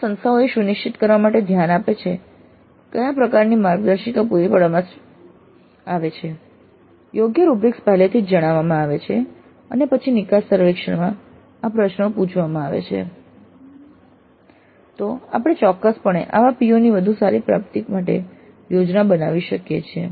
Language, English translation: Gujarati, So, if the institutes take care to ensure that these kind of guidelines are provided, appropriate rubrics are shared up front and then these questions are asked in the exit survey, then we can definitely plan for better attainment of such POs